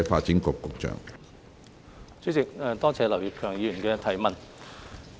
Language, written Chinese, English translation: Cantonese, 主席，多謝劉業強議員的質詢。, President I thank Mr Kenneth LAU for his question